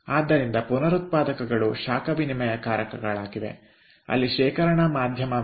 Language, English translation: Kannada, so the regenerators are heat exchangers where there is a storage medium